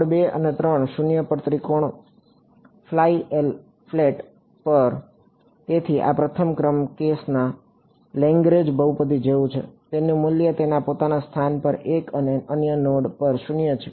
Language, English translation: Gujarati, At node 2 and 3 0 at the triangle fall flat; so, this is like that Lagrange polynomial of the first order case, it has its value 1 at its own location and 0 at the other node